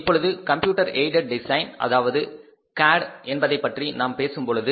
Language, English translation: Tamil, Now we are talking about the computer aided designs